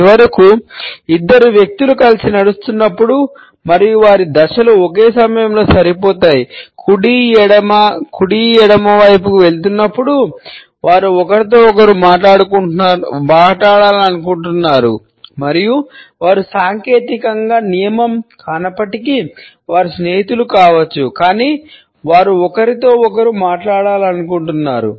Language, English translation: Telugu, And finally, when two people are walking together and their steps are matched going right left, right left at the same time; they want to talk to each other and they are probably friends although that is not technically a rule, but they want to talk to each other